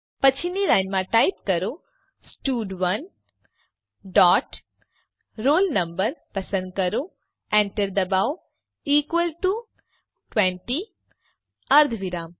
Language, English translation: Gujarati, Next line type stud1 dot selectroll no press enter equal to 20 semicolon